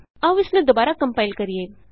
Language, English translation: Punjabi, Let us compile it again